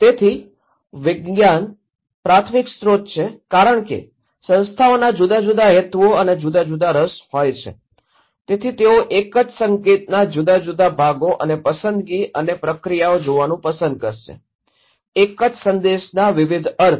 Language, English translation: Gujarati, Right, so and the primary source the science, since institutions have different purposes, different interest, they will also like to see the different parts and selection and processing of one single signal, one single message have different meaning